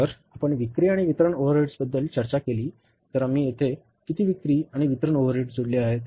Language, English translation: Marathi, So if you talk about the selling and distribution overheads, how much selling and distribution overheads we have added up here